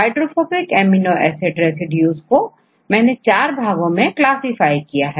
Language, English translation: Hindi, So, in the hydrophobic amino acid residues, I made into 4 classifications